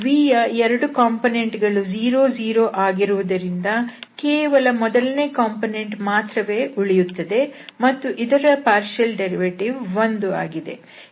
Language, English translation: Kannada, So, since the two component are 0, 0 so, we will have only the first component whose partial derivative is 1